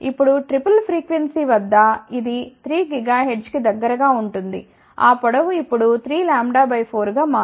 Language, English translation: Telugu, Now, at triple the frequency, which is around 3 gigahertz, we can see that length becomes now 3 lambda by 4